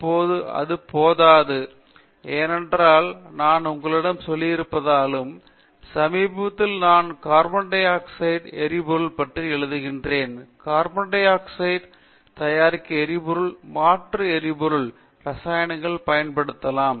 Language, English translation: Tamil, That is not enough now because their literature is so high, because even if I were to tell you, I have been recently writing a book on carbon dioxide to fuels in chemicals because we know very well fuels and chemicals can be used to produce carbon dioxide